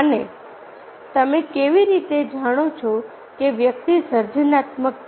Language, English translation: Gujarati, and how you know that the person is creative